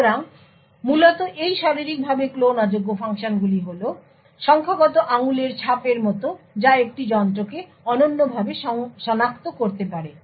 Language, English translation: Bengali, So, essentially this Physically Unclonable Functions are something like digital fingerprints which can uniquely identify a device